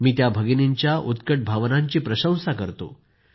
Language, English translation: Marathi, I appreciate the spirit of these sisters